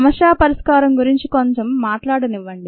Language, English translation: Telugu, let me first talk a little bit about problem solving